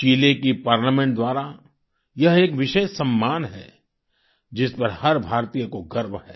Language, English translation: Hindi, This is a special honour by the Chilean Parliament, which every Indian takes pride in